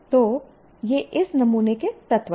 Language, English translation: Hindi, So, these are the elements of this sample